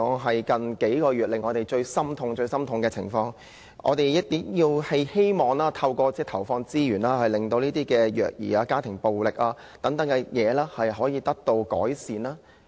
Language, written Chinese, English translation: Cantonese, 最近數月的虐兒案令人心痛，我們希望政府投放資源，令虐兒、家庭暴力等情況可以得到改善。, The child abuse cases in recent months are heart - breaking . We hope the Government will put in more resources to alleviate child abuse and domestic violence